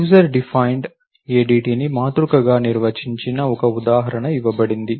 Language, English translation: Telugu, An example of an ADT user defined ADT is a matrix